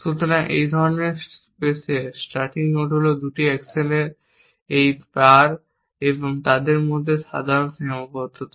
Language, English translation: Bengali, So the starting node in such space is this pare of 2 actions and the ordinary constrain between them